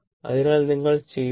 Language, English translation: Malayalam, So, if you